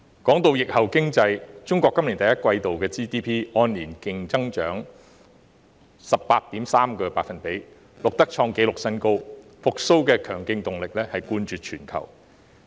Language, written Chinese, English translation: Cantonese, 關於疫後經濟，中國今年第一季 GDP 按年強勁增長 18.3%， 創紀錄新高，復蘇的強勁動力冠絕全球。, Regarding the post - pandemic economy Chinas GDP grew strongly by 18.3 % in the first quarter of this year over a year earlier hitting a record high